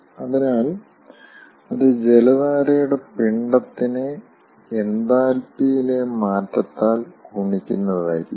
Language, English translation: Malayalam, so that is again given by the mass flow rate of the water stream multiplied by change in enthalpy